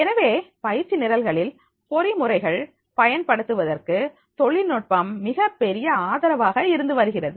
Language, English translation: Tamil, So technology is becoming a very great support to the use of the mechanism for the training programs